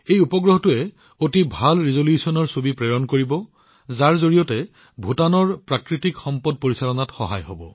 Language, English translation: Assamese, This satellite will send pictures of very good resolution which will help Bhutan in the management of its natural resources